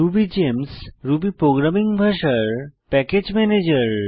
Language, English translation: Bengali, RubyGems is a package manager for Ruby programming language